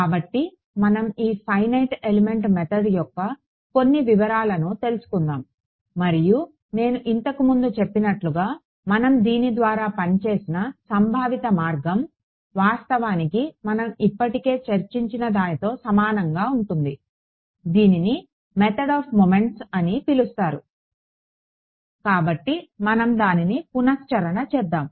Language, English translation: Telugu, So, let us get into some of the details of this Finite Element Method and as I had mentioned much earlier, the conceptual way we worked through it is actually very similar to what we already discussed this so, what so called method of moments; so, let us just recap that